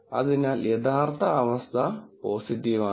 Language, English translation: Malayalam, So, the actual condition is positive